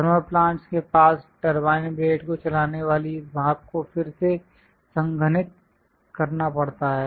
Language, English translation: Hindi, Here near thermal plants, whatever this steam which drives the turbine blades, again has to be condensed